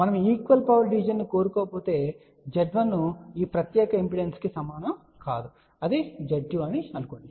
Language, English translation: Telugu, If we do not want equal power division then Z1 will not be equal to this particular impedance which maybe let us says Z 2